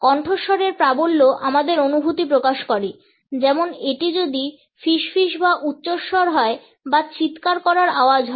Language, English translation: Bengali, The volume of voice shows our feelings if it is a whisper or a loud voice or are we shouting